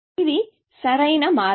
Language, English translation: Telugu, the optimal path